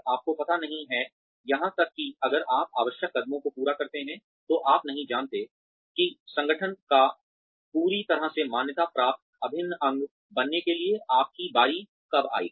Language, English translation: Hindi, You do not know, even if you complete the necessary steps, you do not know, when your turn will come, to become a part of fully recognized, integral part of the organization